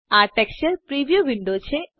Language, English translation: Gujarati, This is the texture preview window